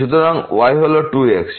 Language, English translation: Bengali, So, is 2